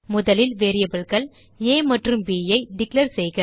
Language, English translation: Tamil, First, we declare two variables a and b